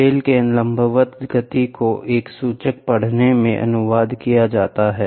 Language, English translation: Hindi, The vertical movement of the bell can be translated into a pointer reading